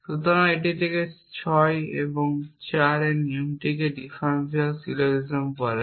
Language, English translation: Bengali, So, this is from 6 and 4 and the rule called differential syllogism